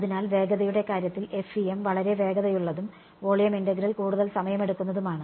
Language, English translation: Malayalam, So, in terms of speed FEM was very very fast and volume integral is much more time consuming